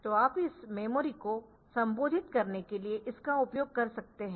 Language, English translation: Hindi, So, you can use it as a address for addressing this memory